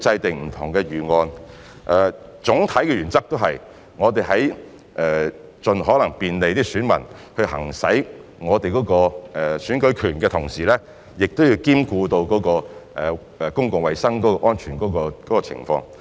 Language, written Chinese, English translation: Cantonese, 總體的原則是，我們會在盡可能便利選民行使選舉權的同時，亦會兼顧公共衞生安全。, The general principle is that we will facilitate electors in exercising their voting rights as far as possible while at the same time safeguard public health